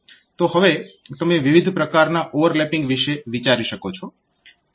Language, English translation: Gujarati, So, now you can think about different types of overlapping